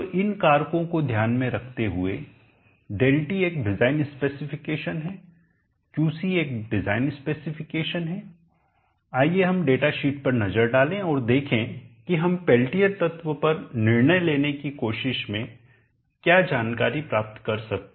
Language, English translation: Hindi, so keeping this factors in mind designed speck let us look at the data sheet and see what information we can gain in trying to decide on the Pelletier element